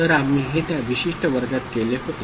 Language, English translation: Marathi, So, this is what we had done in that particular class